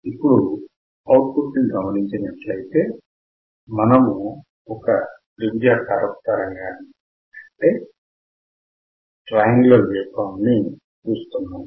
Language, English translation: Telugu, So, and what I see at the output you see what I see I see a triangular wave